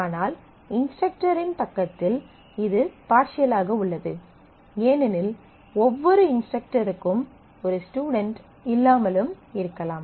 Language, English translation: Tamil, But it is partial on the instructor side because every instructor may not have a student